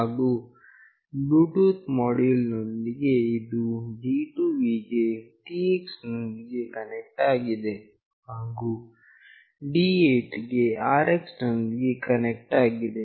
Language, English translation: Kannada, And with the Bluetooth module, it is connected to D2 with the TX, and D8 with the RX